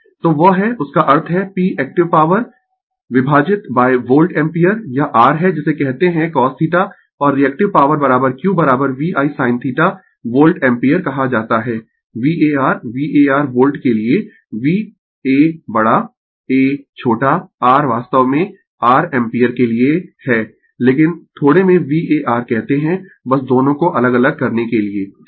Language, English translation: Hindi, So, that is; that means, p is the active power divided by the volt ampere this is your what you call cos theta and reactive power is equal to q is equal to VI sin theta we called volt ampere we call VAR VA R V for volt a capital a small r is stand for actually your ampere, but we call in short VAR just to differentiate both right